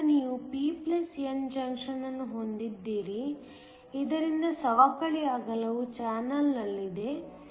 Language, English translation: Kannada, So, you have a p plus n junction, so that the depletion width is in the channel